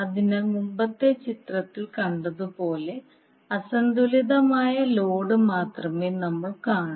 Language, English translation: Malayalam, So we will see only the unbalanced load as we saw in the previous figure